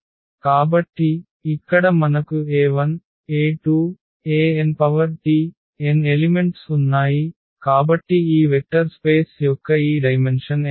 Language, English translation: Telugu, So, here we have e 1 e 2 e n there are n elements and we got therefore, this dimension here of this vector space is n